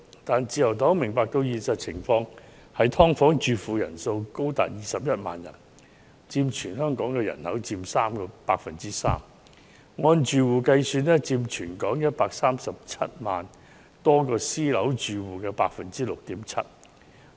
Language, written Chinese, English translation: Cantonese, 然而，自由黨明白現實情況：居於"劏房"的人口高達21萬人，佔全港人口 3%； 按住戶計算更佔全港137萬多個私樓單位住戶的 6.7%。, Nevertheless the Liberal Party understands the reality that there are as many as 210 000 persons living in subdivided units accounting for 3 % of the population of Hong Kong and on a household basis they even account for 6.7 % of some 1 370 000 households living in private housing across the territory